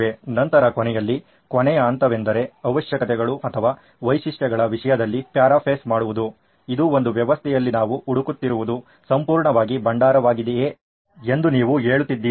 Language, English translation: Kannada, Then at the end the last step was to paraphrase in terms of requirements or features if you will saying that these are absolutely what we are looking for in a system whether it be a repository